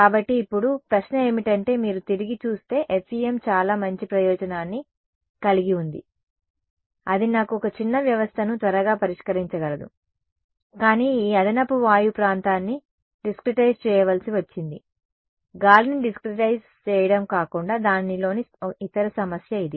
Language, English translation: Telugu, So, now, question is if you look back FEM had a very good advantage that gave me a sparse system can quickly solve it ok, but this extra air region had to be discretized, apart from discretizing air it was the any other problem with it